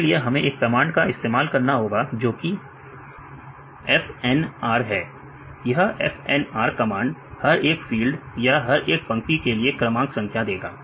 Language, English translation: Hindi, So, here we have this command FNR, FNR gives file line number right for each fields for each line